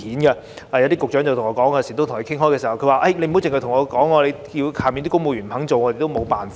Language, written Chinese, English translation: Cantonese, 我與一些局長討論時，他們告訴我："不要只跟我說，屬下的公務員不肯做，我們也沒有辦法。, During the discussion with some Directors of Bureaux they told me Do not only tell us about this . When our subordinate civil servants are not willing to take action there is nothing we can do